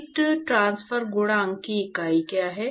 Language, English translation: Hindi, What are the units of heat transfer coefficient